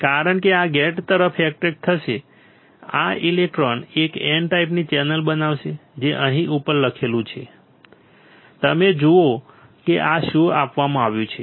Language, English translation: Gujarati, Since this will get attracted towards the gate, these electrons will form a N type channel which is written over here right, which is written over here you see this is what is given